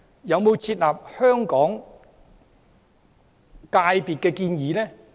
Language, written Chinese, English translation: Cantonese, 有否接納香港業界的建議？, Does the other side accept the suggestions of Hong Kong professions?